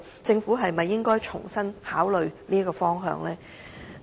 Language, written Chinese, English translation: Cantonese, 政府是否應該重新檢視這方向呢？, Should the Government conduct a fresh review of this direction?